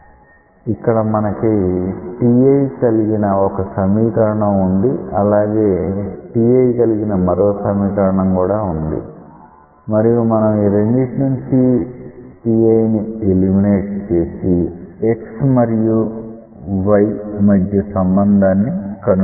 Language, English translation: Telugu, So, you have an expression here which involves t i, you have another expression here which involves t i and you can eliminate t i from these two to find out the relationship between x and y